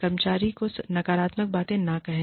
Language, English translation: Hindi, Do not say, negative things to the employee